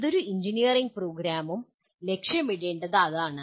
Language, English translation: Malayalam, That is what an engineering program ought to be, okay